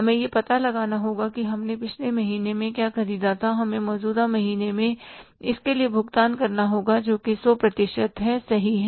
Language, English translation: Hindi, And in that regard, what we have to do is we have to find out that what we purchased in the previous month we have to pay for that in the current month that is 100%